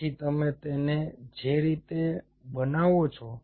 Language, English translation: Gujarati, so the way you make it is